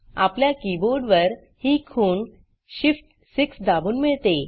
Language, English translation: Marathi, In our keyboard, it is obtained by pressing shift+6